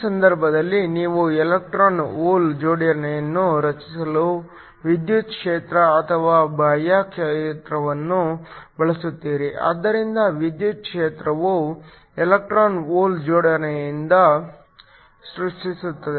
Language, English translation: Kannada, In which case you use an electric field or an external field in order to create an electron hole pair, so, electric field creates the electron hole pair